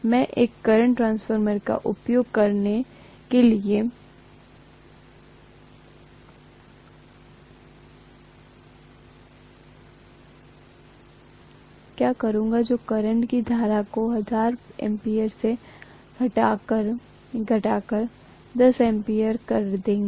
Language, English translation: Hindi, What I will do is to use a current transformer which will step down the current from 1000 ampere to 10 ampere